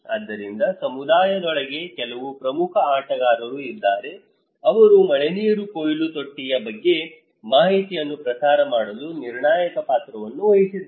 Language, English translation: Kannada, But also, there are some key players inside the community okay, they actually played a critical role to disseminate informations about the rainwater harvesting tank